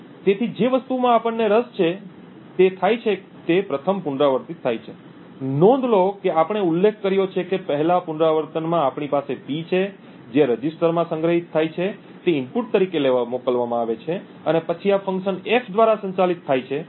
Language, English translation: Gujarati, So what we are interested in is the first iteration that occurs, note that we had mentioned that in the first iteration we have P which is sent as an input which gets stored in the register and then this gets operated on by this function F